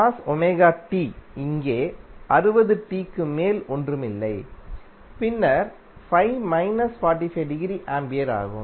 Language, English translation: Tamil, Then cos Omega T is nothing but 60t over here and then Phi is minus 45 degree Ampere